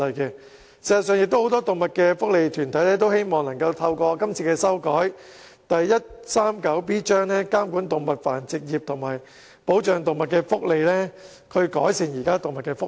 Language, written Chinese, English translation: Cantonese, 事實上，很多動物福利團體都希望透過修改香港法例第 139B 章，監管動物繁殖業及保障動物福利，以改善動物的福利。, Indeed many animal welfare organizations hope to regulate the animal breeding trade and protect animal welfare through amending Cap . 139B of the Laws of Hong Kong so as to improve animal welfare . The amended Cap